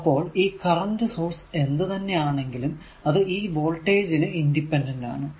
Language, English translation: Malayalam, So, this for this current source whatever it is there is completely independent of the voltage across the source right